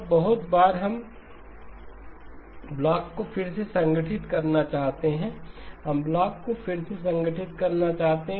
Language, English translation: Hindi, Now very often we also want to reconstruct the blocks, we want to reconstruct the blocks